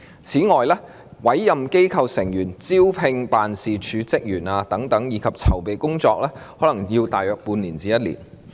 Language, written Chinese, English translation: Cantonese, 此外，委任機構成員，招聘辦事處職員等籌備工作，可能需時大約半年至1年。, In addition preparatory work such as the appointment of board members and recruitment of office staff might take about six months to one year